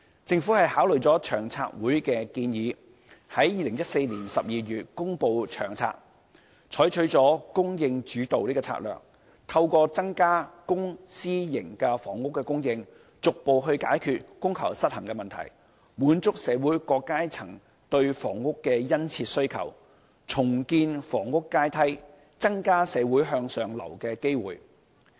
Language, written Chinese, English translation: Cantonese, 政府考慮了長策會的建議，在2014年12月公布《長策》，採取了"供應主導"的策略，透過增加公私營房屋的供應，逐步解決供求失衡的問題，滿足社會各階層對房屋的殷切需求，重建房屋階梯，增加社會向上流動的機會。, After considering those proposals the Government announced in December 2014 the Long Term Housing Strategy LTHS adopting a supply - led approach to resolve step by step the supply - demand imbalance with an increase in both private and public housing supply by rebuilding the housing ladder and increasing opportunities in upward social movement